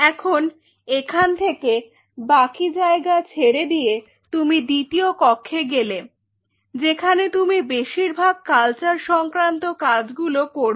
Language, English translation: Bengali, Then from here we will leave the rest of the space, now you are moving into the second room which is the room where you will be performing most of the culture work